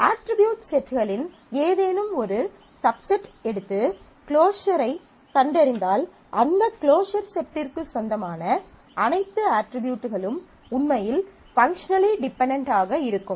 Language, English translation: Tamil, If we take any subset of the set of attributes and find the closure and then, all attributes that belong to that closure set are actually functionally dependent and therefore, those functional dependencies will exist